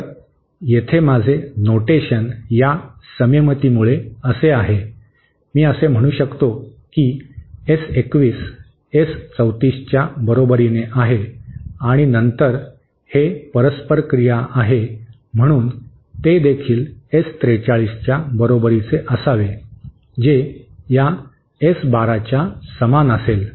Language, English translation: Marathi, So, here my notation is like this because of this symmetry, I can say that S 21 is equal to S 34 and then because it is a reciprocal device, they should also be equal to S 43 which in turn should be equal to S12